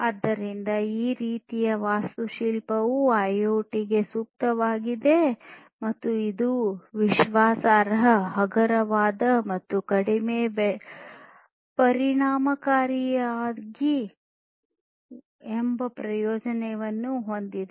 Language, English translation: Kannada, So, this kind of architecture is suitable for IoT and it has the advantage of being reliable, lightweight, and cost effective